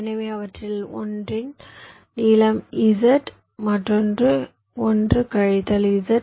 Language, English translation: Tamil, so the length of one of them is z, other is one minus z